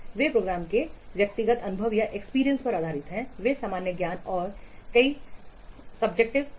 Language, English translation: Hindi, They are based on the personal experience of the programmers, they are common sense and several subjective factors